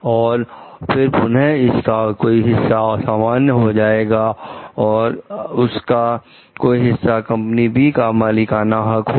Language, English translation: Hindi, And then again, some part of it may be general and some part of it may be proprietary to company B